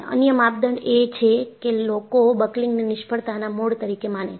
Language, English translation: Gujarati, The other criterion is people considered buckling as a failure mode